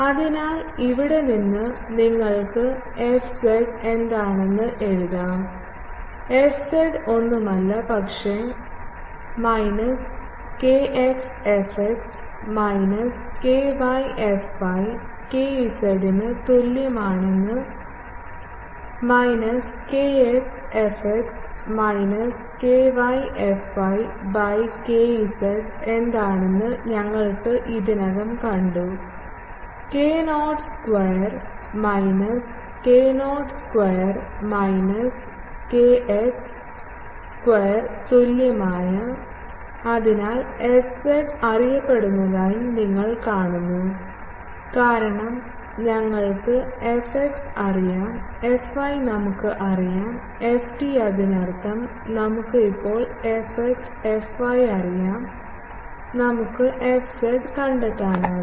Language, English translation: Malayalam, So, from here you can write what is fz; fz is nothing, but minus kx fx minus ky fy by kz is equal to minus kx fx minus ky fy by we have already seen what is kz; k not square minus kx square minus ky square equal to answer is; so, you see that fz is also known, because we know fx fy we know ft; that means, we know fx fy now, we can find fz